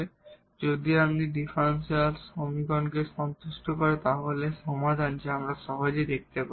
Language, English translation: Bengali, This satisfies this differential equation, so if you satisfies the differential equation, then is solution so which we can easily see